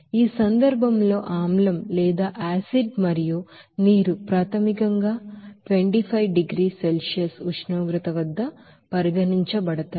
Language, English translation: Telugu, In this case the acid and water are initially at a temperature of 25 degrees Celsius to be considered